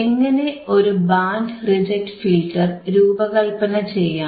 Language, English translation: Malayalam, How you can design the band reject filter